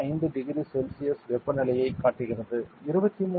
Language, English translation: Tamil, 5 degrees Celsius; 23